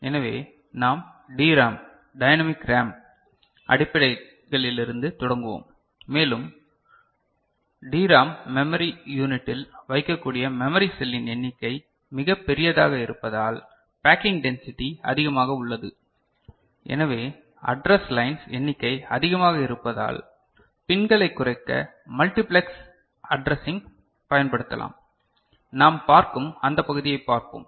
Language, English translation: Tamil, So, we start from DRAM, dynamic RAM basics and since the number of memory cell that can put into a DRAM memory unit is quite large the packing density is higher, so the number of address line will be a bit more for which to save pins we can utilize multiplexed addressing that part we shall see